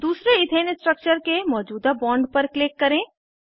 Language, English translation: Hindi, Click on the existing bond of the second Ethane structure